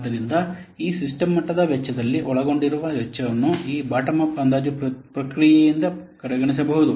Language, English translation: Kannada, So, the cost that will be involved in these system level cost may be overlooked by this bottom of estimation process